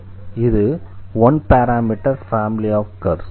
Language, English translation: Tamil, So, we have this two parameter family of curves